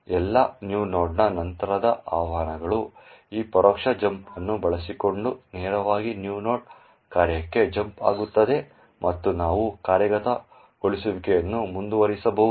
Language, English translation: Kannada, All, subsequent invocations of new node would directly jump to the new node function using this indirect jump and we can continue the execution